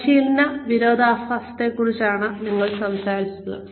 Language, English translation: Malayalam, We were talking about training paradox